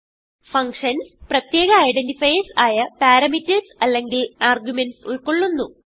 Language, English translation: Malayalam, Functions contains special identifiers called as parameters or arguments